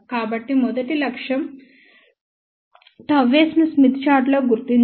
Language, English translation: Telugu, So, first objective will be to locate gamma s on the Smith chart